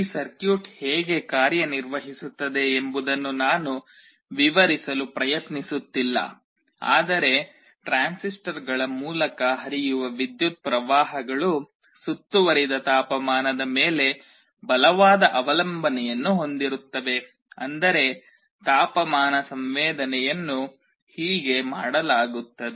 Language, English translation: Kannada, You see I am not trying to explain how this circuit works, but the idea is that the currents that are flowing through the transistors there is a strong dependence on the ambient temperature that is how the temperature sensing is done